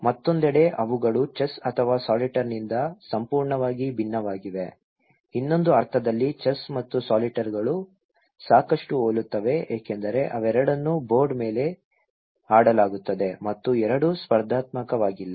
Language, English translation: Kannada, On the other hand, they are completely different from chess or solitaire, in other sense that chess and solitaire are quite similar because they both are played on board and they both are not competitive as such okay